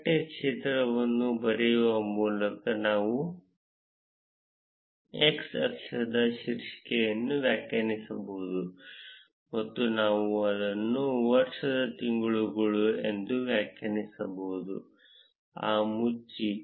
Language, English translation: Kannada, We can define the title of the x axis by writing the text field and we can define it as months of the year, close the brackets